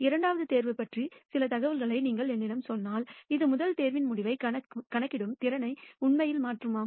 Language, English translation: Tamil, If you tell me some information about the second pick would it actually change your ability to predict the outcome of the first pick